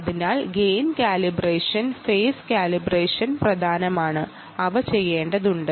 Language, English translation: Malayalam, so gain calibration, phase calibration are important and they have to be done